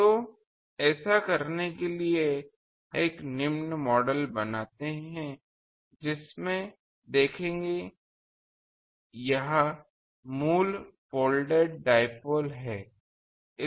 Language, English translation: Hindi, So, to do that, we make a following model that see we are having a, so this is the original folded dipole